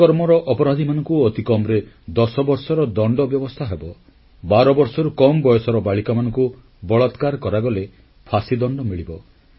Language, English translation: Odia, Those guilty of rape will get a minimum sentence of ten years and those found guilty of raping girls below the age of 12 years will be awarded the death sentence